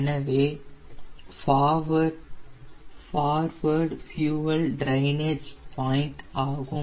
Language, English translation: Tamil, this is a forward fuel drainage point